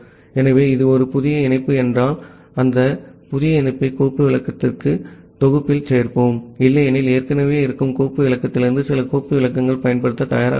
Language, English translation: Tamil, So, if that is a new connection, we add that new connection to the set of file descriptor that we have otherwise some file descriptor from the existing file descriptor is ready to use